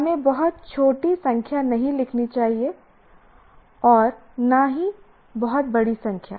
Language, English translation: Hindi, But as we said, should not write too small a number, nor too big a number